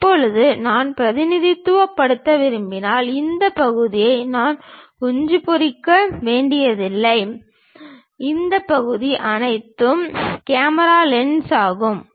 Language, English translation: Tamil, Now, if I want to really represent, I do not have to just hatch all this part and all this part is a camera lens